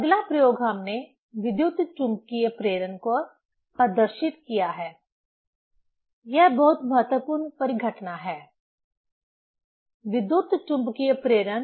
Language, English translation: Hindi, Next experiment we have demonstrate on electromagnetic induction; this is very important phenomenon: electromagnetic induction